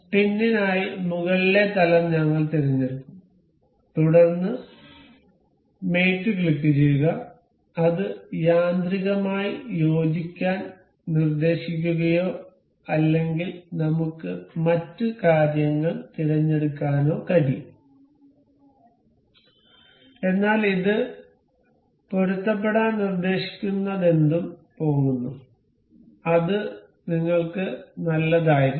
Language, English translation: Malayalam, We will select the top plane for the pin, and then click on mate, it will it is automatically suggesting to coincide or or maybe we can select other things, but whatever it is suggesting to coincide it is going, it should be good for us